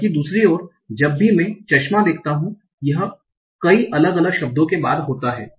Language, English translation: Hindi, On the other hand, whenever I see glasses, it occurs after multiple different words